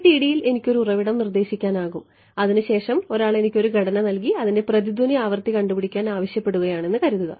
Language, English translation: Malayalam, I can in FDTD I can specify a source after that what supposing my task someone gives me structure and says find out the resonate frequency of the structure